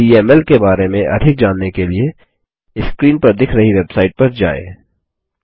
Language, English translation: Hindi, To know more about DML, visit the website shown on the screen